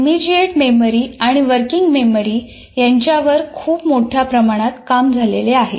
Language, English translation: Marathi, There is a tremendous amount of work that has been done on these two immediate memory and working memory